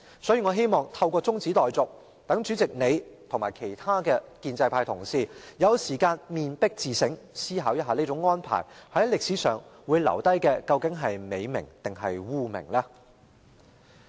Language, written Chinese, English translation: Cantonese, 所以，我希望透過中止待續，讓主席及其他建制派同事有時間面壁自省，思考這種安排會令你們在歷史上留下美名還是污名。, For this reason I hope that through this motion of adjournment the President and other Honourable colleagues of the pro - establishment camp can have time to face the wall and do some self - reflection to ponder whether such an arrangement will give you a good repute or notoriety in history